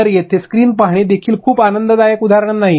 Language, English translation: Marathi, So, looking at the screen and also it is not a very pleasant example